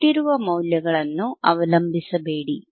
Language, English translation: Kannada, Do not rely on given values